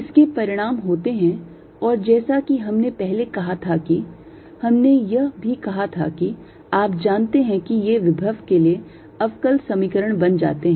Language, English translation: Hindi, this has consequences and, as we said earlier that we had also said that, ah, you know, these becomes the differential equations for the potential